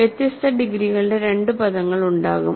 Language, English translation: Malayalam, So, there will be two terms of different degrees